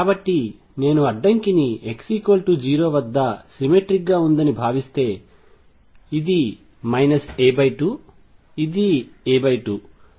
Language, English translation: Telugu, So, if I consider the barrier to be symmetric about x equals 0, this is minus a by 2 this is a by 2